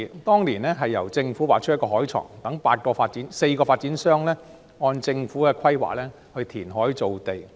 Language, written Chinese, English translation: Cantonese, 當年由政府劃出海床，讓4個發展商按政府規劃填海造地。, Back then the Government demarcated the seabed for four developers to conduct reclamation according to the Governments planning